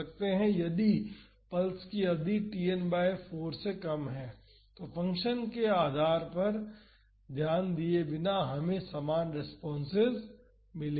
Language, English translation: Hindi, So, if the pulse duration is less than Tn by 4, then irrespective of the shape of the function we would get similar responses